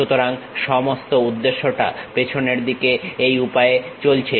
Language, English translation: Bengali, So, the whole objective at that back end it goes in this way